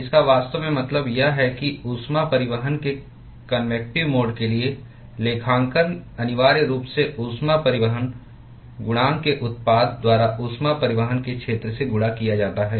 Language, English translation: Hindi, accounting for convective mode of heat transport is essentially given by the product of heat transport coefficient multiplied by the area of heat transport